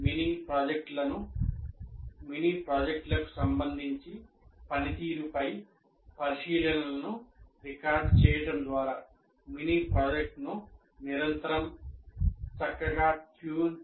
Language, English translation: Telugu, And by recording the observations on the performance with respect to mini projects, one will be able to continuously fine tune the mini project